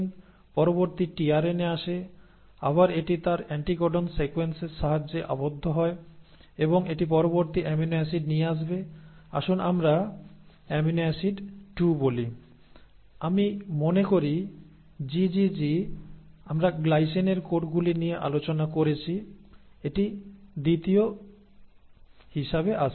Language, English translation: Bengali, Now the next tRNA comes, again it binds with the help of its anticodon sequence, and it will bring in the next amino acid, let us say amino acid 2; I think GGG we discussed codes for glycine so this comes in as the second